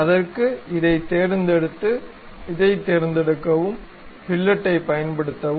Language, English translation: Tamil, So, select this one and select this one also, use fillet